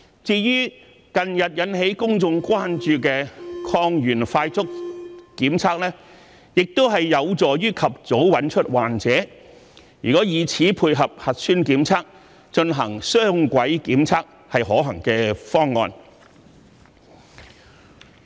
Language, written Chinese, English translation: Cantonese, 至於近日引起公眾關注的抗原快速檢測，亦有助及早找出患者；如果以此配合核酸檢測進行雙軌檢測，是可行的方案。, As regards the antigen rapid test that has recently aroused public interest it can also help detect patients at the earliest possible time . Therefore it will be a feasible option if it is used alongside the nucleic acid test for dual - track testing